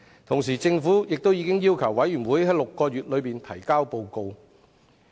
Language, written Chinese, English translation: Cantonese, 同時，政府亦已要求調查委員會在6個月內提交報告。, At the same time the Government has requested the Commission of Inquiry to submit its report within six months